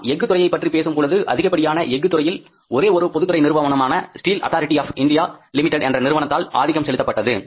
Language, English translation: Tamil, Now, see largely steel sector was dominated by one public sector company, Steel Authority of India Limited